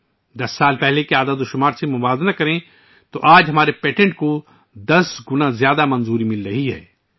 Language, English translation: Urdu, If compared with the figures of 10 years ago… today, our patents are getting 10 times more approvals